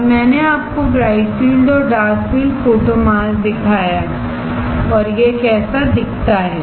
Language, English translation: Hindi, Now, I have shown you bright field and dark field photo mask and how it looks